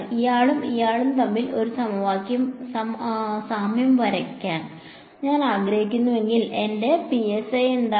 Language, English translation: Malayalam, If I want to do a draw one to one analogy between this guy and this guy what is my psi